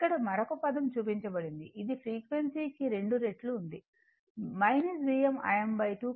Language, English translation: Telugu, It is shown and another term is double frequency minus V m I m by 2 cos 2 omega t right